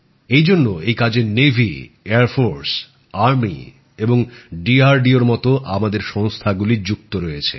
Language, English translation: Bengali, That is why, in this task Navy , Air Force, Army and our institutions like DRDO are also involved